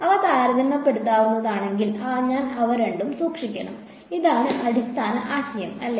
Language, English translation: Malayalam, If they are comparable, I must keep both of them and this is the basic idea ok